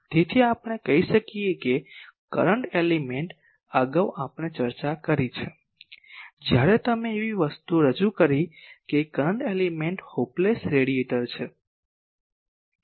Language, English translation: Gujarati, So, we can say that current element earlier we have discussed, when we introduced the thing that current element is a hopeless radiator